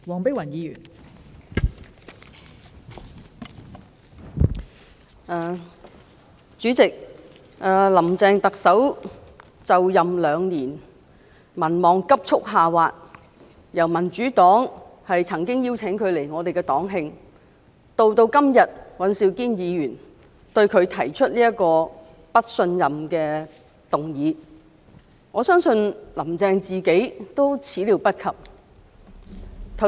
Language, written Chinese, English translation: Cantonese, 代理主席，特首"林鄭"就任2年，民望急速下滑，從民主黨曾邀請她來我們的黨慶，及至今天尹兆堅議員對她提出"對行政長官投不信任票"的議案，我相信"林鄭"亦始料未及。, Deputy President Chief Executive Carrie LAM has been in office for two years yet her approval rating has slid drastically . Back then the Democratic Party invited her to the anniversary dinner of our party but now Mr Andrew WAN has proposed a motion on Vote of no confidence in the Chief Executive . I believe Carrie LAM has never seen it coming